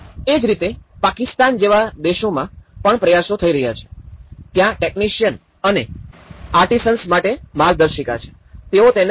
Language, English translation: Gujarati, Similarly, there are efforts in Pakistan in countries like Pakistan, there have been a guidebook for technicians and artisans, they call it as artisans